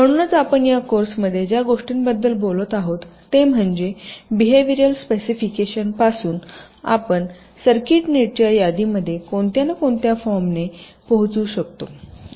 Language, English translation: Marathi, so essentially, what we are talking about in this course is that, starting from the behavior specification, we can arrive at the circuit net list in some form and form the net list